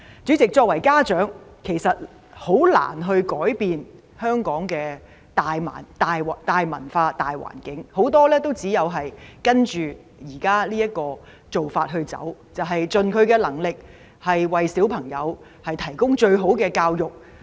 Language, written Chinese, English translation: Cantonese, 主席，作為家長，其實很難改變香港的大文化、大環境，很多人只有跟着現有做法走，就是盡能力為子女提供最好的教育。, President in fact it is very difficult for parents to change the main culture or general atmosphere of Hong Kong . Many people just follow the current practice and endeavour to provide the best education for their children